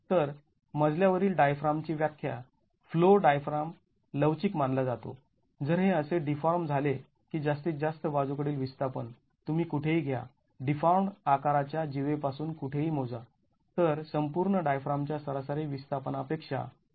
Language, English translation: Marathi, So, the definition of a flow diaphragm, a flow diaphragm is considered to be flexible if it deforms such that the maximum lateral displacement you take anywhere measured from the cord of the deform shape anywhere is more than 1